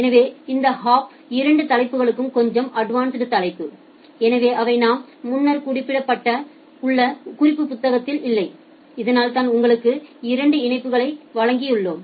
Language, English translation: Tamil, So, these two topics are little advanced topic which are not there in your reference book that we have mentioned earlier so, that is why you have given two links